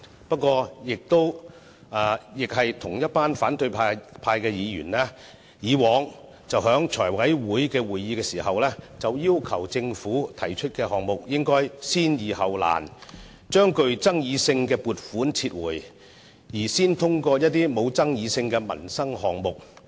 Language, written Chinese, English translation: Cantonese, 不過，同一群反對派議員以往在財委會會議上，要求政府按先易後難的原則提出項目，把具爭議性的撥款申請撤回，先提交一些不具爭議性的民生項目。, Yet the same group of Members from the opposition camp have previously opined that the Government should reschedule agenda items for meetings of the Finance Committee according to the principle of dealing with straightforward issues first so as to withdraw controversial funding applications and submit non - controversial and livelihood - related ones first